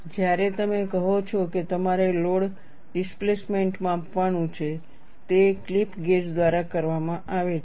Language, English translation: Gujarati, When you say you have to measure the load displacement, it is done by a clip gauge